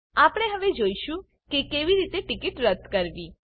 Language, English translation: Gujarati, We will now see how to cancel a ticket